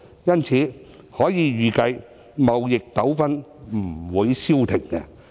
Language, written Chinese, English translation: Cantonese, 因此，可以預計，貿易糾紛不會消停。, Thus it can be expected that trade disputes will not cease